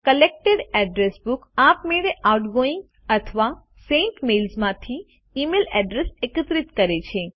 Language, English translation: Gujarati, Collected address book automatically collects the email addresses from outgoing or sent mails